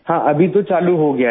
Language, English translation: Hindi, Yes, it has started now